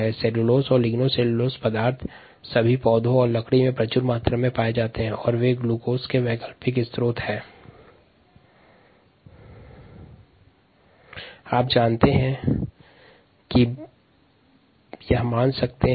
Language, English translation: Hindi, cellulose and ligno cellulosic materials are found abundantly, ah in all the plants, wood, wooders, all that, and they are alternative sources of glucose